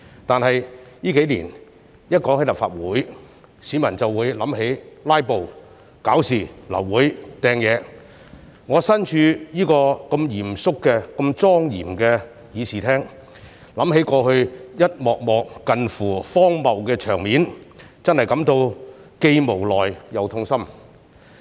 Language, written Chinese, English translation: Cantonese, 但是，這數年只要提及立法會，市民便會想起"拉布"、搞事、流會和擲東西，我身處這個如此嚴肅、如此莊嚴的議事廳，想起過去一幕幕近乎荒謬的場面，真的感到既無奈又痛心。, Nevertheless if we talk about the Legislative Council in recent years people will only be reminded of filibusters stirring up of trouble aborted meetings and throwing of objects . Sitting in this solemn and dignified Chamber I feel helpless and sad when I recall a succession of absurd scenes of the past